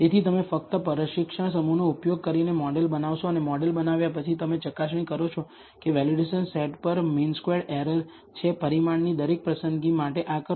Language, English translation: Gujarati, So, you build the model using only the training set and after you have built the model you test it find the m square mean squared error on the validation set, do this for every choice of the parameter